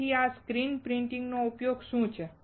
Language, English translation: Gujarati, So, what is the use of this screen printing